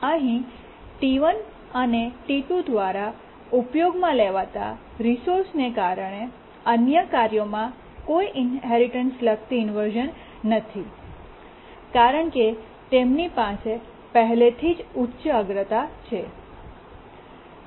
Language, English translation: Gujarati, So, the resource uses here by T1 and T2, they don't cause any inheritance related inversions to the other tasks because these are already high priority